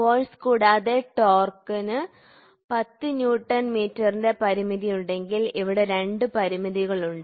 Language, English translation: Malayalam, Suppose, if there is force as well as a torque component of 10 Newton meter something like this is the two constraints are there